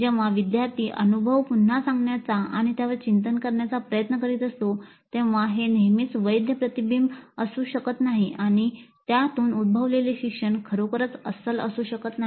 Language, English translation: Marathi, So, when the learner is trying to recollect the experience and reflect on it, it may not be always a valid reflection and the learning that results from it may not be really authentic